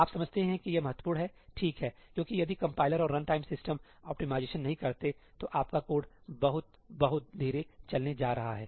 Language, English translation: Hindi, You understand this is important, right, because if the compiler and the runtime system do not do these optimizations your code is going run very very slowly